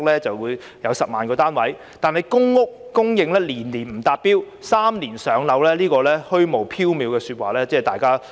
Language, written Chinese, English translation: Cantonese, 然而，公屋供應年年不達標，對於3年"上樓"這虛無縹緲的說話，市民都不知應否相信。, However with the supply of public housing falling short of the target every year people do not know whether they should believe the vague promise of maintaining the waiting time of three years for public housing units